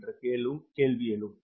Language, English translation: Tamil, that is a big question